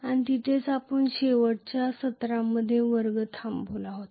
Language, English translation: Marathi, And that is where we had stopped the class in the last session